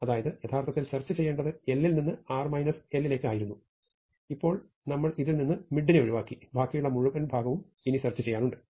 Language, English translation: Malayalam, So, the original thing was from left to right minus 1 and we have now excluded mid from this and we have also halved the interval to search